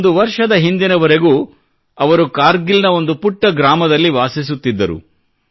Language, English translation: Kannada, Until a year ago, she was living in a small village in Kargil